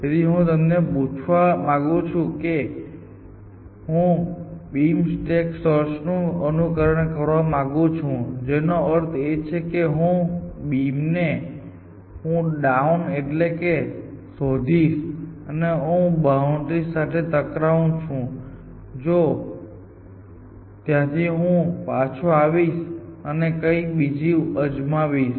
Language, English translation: Gujarati, So, it is possible, so let me ask I want to do, I want to stimulate the behaviour of beam stack search which means I will go down searching down the beam and if I hit the boundary I will come back and try something else